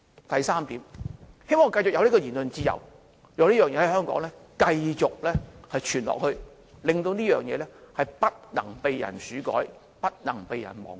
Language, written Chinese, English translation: Cantonese, 第三點，希望我們繼續有言論自由，讓這個事件繼續在香港流傳下去，不被人竄改及忘記。, Third I hope we can continue to enjoy freedom of speech so that this incident will continue to spread in Hong Kong without being tampered with and forgotten